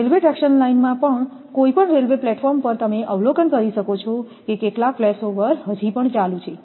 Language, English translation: Gujarati, Even in the railway traction line any railway platform or sometimes you can observe that some flashover is going on